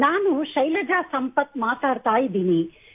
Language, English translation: Kannada, I am Shailaja Sampath speaking